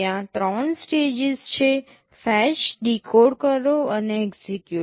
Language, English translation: Gujarati, There are three stages, fetch, decode and execute